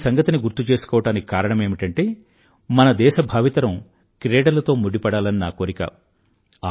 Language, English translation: Telugu, I am reminding you of this because I want the younger generation of our country to take part in sports